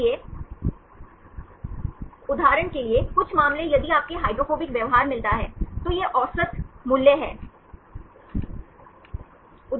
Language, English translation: Hindi, So, some cases for example if you get the hydrophobic behavior, this is the average value